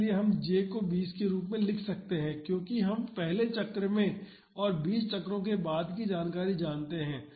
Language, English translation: Hindi, So, we can take j as 20 because we know the information at the first cycle and after 20 cycles